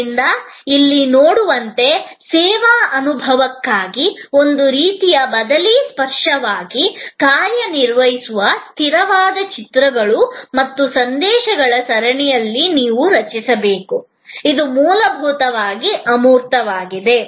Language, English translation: Kannada, So, as you see here, you have to create a consistent series of images and messages that act as a sort of substitute tangibility, for the service experience, which in an essence is intangible